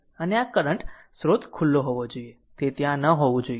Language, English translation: Gujarati, And this current source should be open; it should not be there